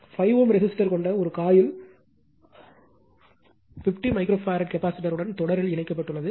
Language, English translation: Tamil, A coil having a 5 ohm resistor is connected in series with a 50 micro farad capacitor